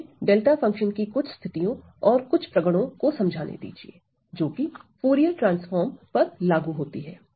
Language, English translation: Hindi, So, let me just show you some cases or some properties of delta function applied to Fourier transform